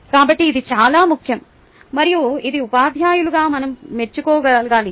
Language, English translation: Telugu, so this is very important and this we should be able to appreciate as teachers